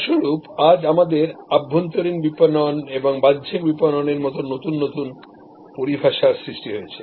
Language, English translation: Bengali, As a result today we have new terminologies like say internal marketing and external marketing